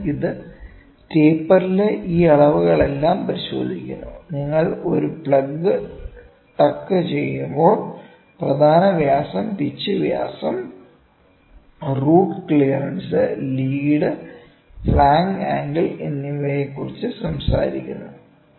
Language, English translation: Malayalam, So, it checks all these dimensions in the taper and when you tuck a plug it talks about major diameter, pitch diameter, root clearance lead and flank angle